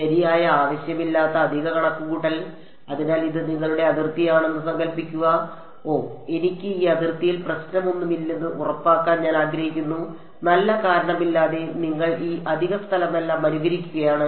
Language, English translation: Malayalam, Extra computation for no need right; so, supposing this was your boundary I can as well say oh I want to make this boundary sure do it no problem your for no good reason you are simulating all of this extra space